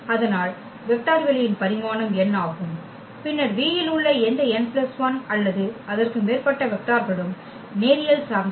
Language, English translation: Tamil, So, the dimension of the vector space is n, then any n plus 1 or more vectors in V are linearly dependent